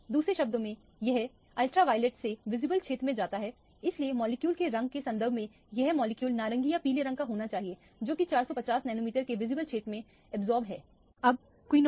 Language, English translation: Hindi, In other words, it goes from the ultraviolet region to visible region, so this molecule should be either orange or yellow in color in terms of the color of the molecule, which is the absorption in the visible region of 450 nanometer